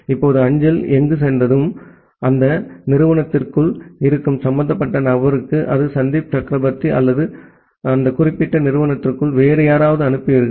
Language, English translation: Tamil, Now once the mail is reaching there, then you send to the person concerned who is inside that institute whether it is Sandip Chakraborty or someone else inside that particular institute